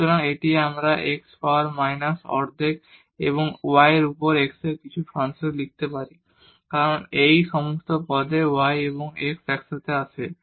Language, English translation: Bengali, So, this we can write down as x power minus half and some function of y over x because in all these terms y over x comes together